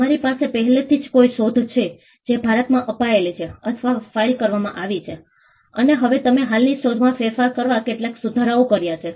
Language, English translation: Gujarati, You already have an invention, granted or filed in India, and now you have made some improvements in modification to an existing invention